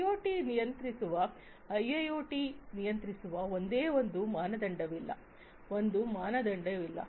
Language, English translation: Kannada, There are no there is no single standard that governs IIoT that governs IoT, there is no single standard